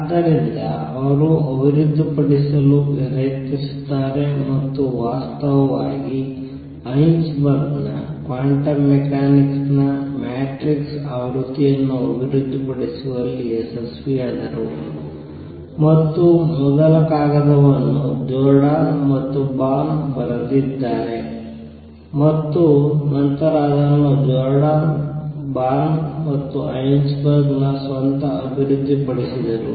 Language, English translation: Kannada, So, he tries to develop and in fact, became successful in developing the matrix version of Heisenberg’s quantum mechanics and first paper was written on this by Jordan and Born and later developed fully by Jordan, Born and Heisenberg himself